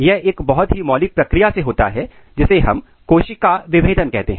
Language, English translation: Hindi, This happens through a very fundamental process which we call cell differentiation